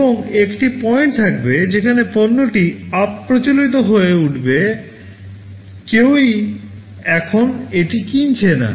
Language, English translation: Bengali, And there will be a point where the product will become obsolete, no one is buying it anymore